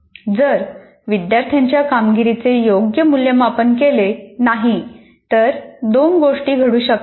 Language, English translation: Marathi, And the other one is, if the student performance is not evaluated properly, two things can happen